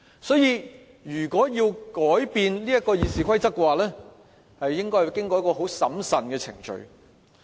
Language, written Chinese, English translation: Cantonese, 所以，如果要改變《議事規則》，應該要經過一個很審慎的程序。, Therefore any changes to the Rules of Procedure must be preceded by a very prudent process